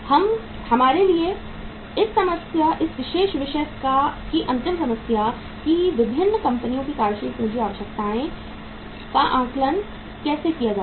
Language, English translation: Hindi, This is the last problem for this uh particular topic for us that how to assess the working capital requirements of different companies